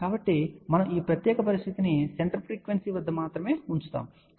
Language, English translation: Telugu, So, we are putting this particular condition only at the center frequency, ok